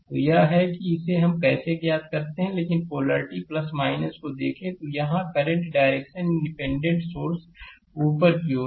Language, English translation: Hindi, So, this is how we do it, but look at the polarity plus minus, so current direction here in the independent current source it is upward right